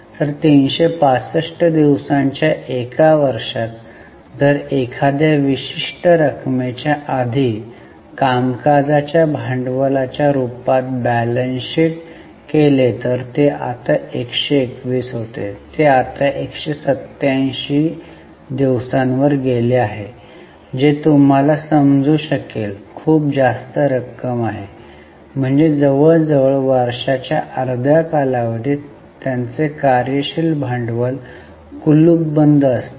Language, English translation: Marathi, So, in a year of 365 days, if a particular amount is locked up in the form of working capital, earlier it was 121, it has now gone up to 187 days, which is you can understand is a very high amount